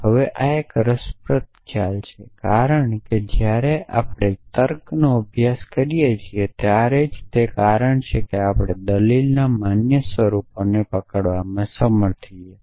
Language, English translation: Gujarati, Then, there is a notion of entailment if now this is an interesting notion because in when we study logic the reason we study logic is to we are able to capture valid forms of argument